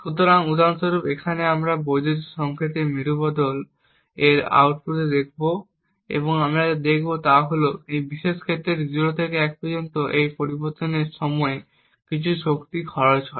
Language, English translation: Bengali, So, for example over here we will look at the output of the inverter and what we see is that during this transition from 0 to 1 in this particular case there is some power that gets consumed